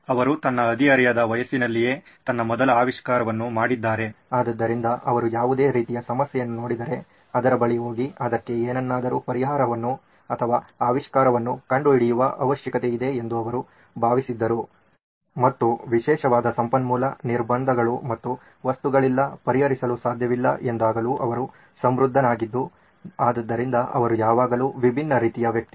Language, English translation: Kannada, He had filed his first invention way back when he was in his teens, so any problem anything that he saw, he felt the need to go and invent something and that’s how prolific he was and particularly when there were resource constraints and things could not be solved, so he is always a very different kind of person